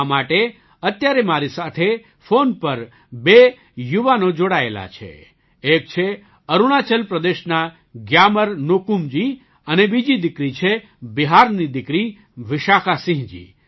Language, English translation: Gujarati, That's why two young people are connected with me on the phone right now one is GyamarNyokum ji from Arunachal Pradesh and the other is daughter Vishakha Singh ji from Bihar